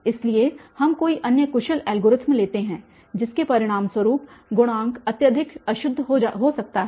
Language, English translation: Hindi, So, any other efficient algorithm we take the resulting coefficient can be highly inaccurate